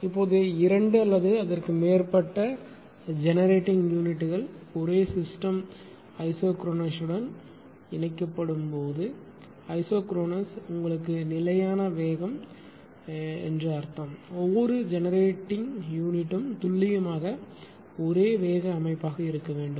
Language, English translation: Tamil, Now, what we will do, so when two or more generating units are connected to the same system right isochronous, isochronous told you it is means the constant speed, cannot be used since each generating unit that would have to be precisely the same speed setting speed right